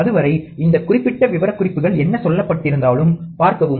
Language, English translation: Tamil, Till then, see this particular specifications whatever has been told